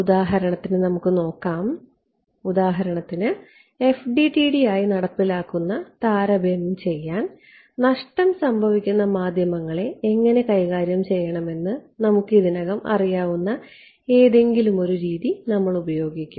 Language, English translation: Malayalam, So, let us look at, for example, to make the compare to make the implementation into FDTD we will use something which you already know which is how to deal with lossy media ok